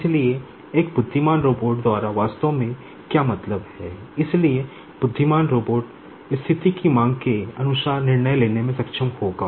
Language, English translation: Hindi, So, by an intelligent robot actually what is meant, so intelligent robot will be able to take the decision as the situation demands